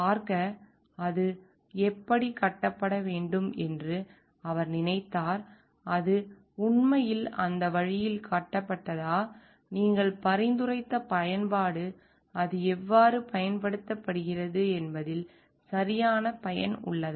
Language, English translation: Tamil, To see like, however he thought like it needs to be built, whether it is actually built in that way, whether the use that you have suggested is been the proper use in how it is getting used